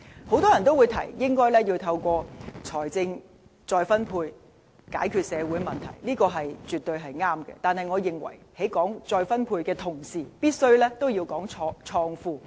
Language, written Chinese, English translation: Cantonese, 很多人提到，應該透過財富再分配以解決社會問題，這是絕對正確的，但我認為在談論再分配的同時，必須同時談論創富。, Many people have suggested resolving social problems by wealth redistribution . This is absolutely right . Yet while discussing redistribution we must at the same time discuss wealth creation